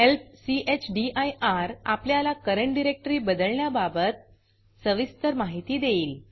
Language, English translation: Marathi, Help chdir gives detailed information on how to change the current working directory